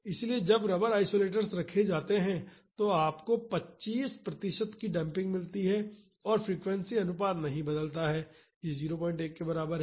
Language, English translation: Hindi, So, when rubber isolators are kept, you get a damping of 25 percent and the frequency ratio does not change it is same as 0